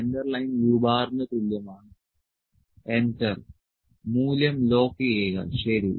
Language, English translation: Malayalam, Centre line is my u bar this is equal to u bar enter lock the value, ok